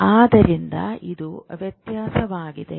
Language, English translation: Kannada, So this discrepancy